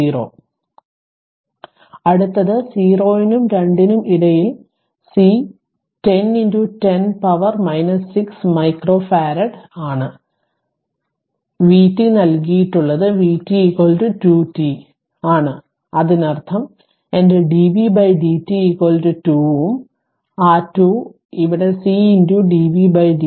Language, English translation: Malayalam, Now, next one is that in between 0 and 2 that is C is 10 into 10 to the power minus 6 micro farad it is given and it is your vt that your vt is is equal to 2 t; that means, my dvt by dt is equal to 2 and that 2 is here that 2 is here that C into dv by dt right it is 2